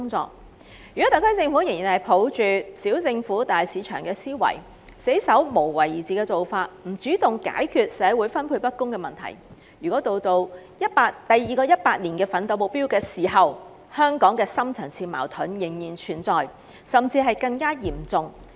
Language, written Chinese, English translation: Cantonese, 假如特區政府仍然抱着"小政府、大市場"的原則，堅守一貫"無為而治"的做法，不主動解決社會資源分配不均問題，則到了第二個百年奮鬥目標實現的時候，香港的深層次矛盾仍會存在，甚至變得更嚴重。, If the SAR Government still adheres to the principle of small government big market and the long - standing practice of inaction for governance without taking the initiative to resolve the problem of uneven distribution of social resources then the deep - seated conflicts in Hong Kong will remain or even become more serious by the time the countrys second centenary goal is achieved